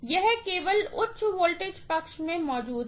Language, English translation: Hindi, That is only present in the high voltage side